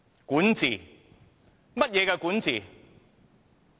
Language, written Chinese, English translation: Cantonese, 管治是怎樣的管治？, What kind of governance are we under?